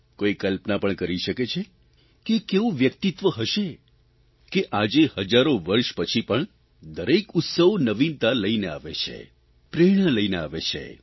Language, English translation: Gujarati, Can anyone even imagine the greatness of his personality, that, even after thousands of years, the festival comes along with renewed novelty, a new inspiration with fresh energy